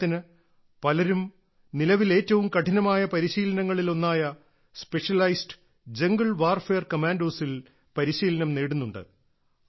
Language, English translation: Malayalam, For example, many daughters are currently undergoing one of the most difficult trainings, that of Specialized Jungle Warfare Commandos